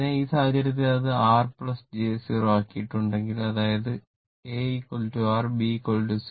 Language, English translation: Malayalam, So, in that case, in that case, if it is made R plus your 0 j 0; that means, a is equal to R right and b is equal to 0